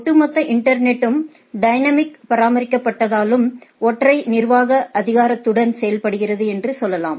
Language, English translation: Tamil, And as the overall internet is dynamic not maintained, so to say with a single administrative authority